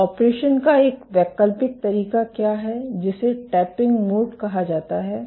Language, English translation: Hindi, So, what does an alternate mode of operation; which is called the tapping mode